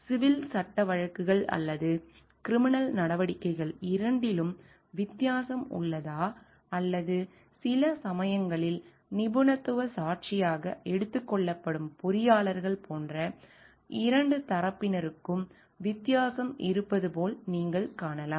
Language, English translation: Tamil, So, you find like if there is a difference in both the civil law suits or criminal proceedings or like there is a difference between the 2 parties like engineers sometimes taken to be as expert witness